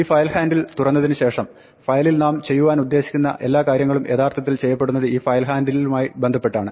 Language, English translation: Malayalam, Now, having opened this file handle everything we do with the file is actually done with respect to this file handle